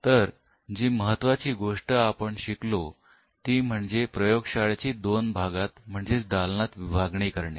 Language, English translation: Marathi, So, one aspect what we have considered is the lab is divided into 2 parts